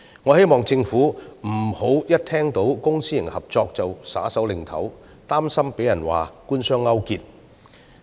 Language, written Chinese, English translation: Cantonese, 我希望政府別聽到公私營合作便斷然拒絕，擔心遭批評為官商勾結。, I hope the Government will not on hearing public - private partnership categorically reject it due to concerns over criticisms of government - business collusion